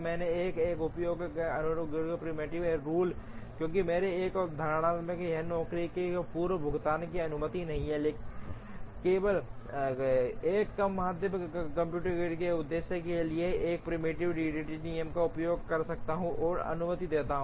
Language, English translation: Hindi, Then I will not use a preemptive rule, because one of my assumptions is that job preemption is not allowed, only for the purpose of computing a lower bound, I can use a preemptive EDD rule and allow preemption